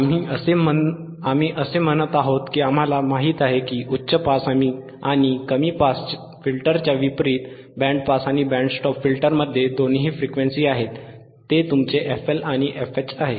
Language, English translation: Marathi, That is what we are saying that we know that unlike high pass and low pass, band pass and band stop filters have two frequencies; that is your FL and FH